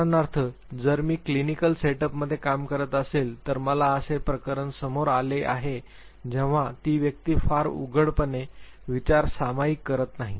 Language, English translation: Marathi, For instance if I am working in a clinical setup, I come across a case where the person is not very openly sharing the thoughts